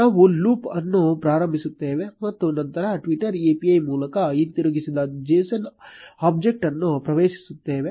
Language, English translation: Kannada, We will start a loop and then access the json object which is returned by the twitter API